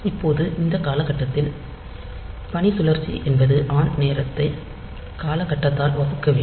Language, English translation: Tamil, Now, in this time period, so duty cycle means the on time the on time divided by time period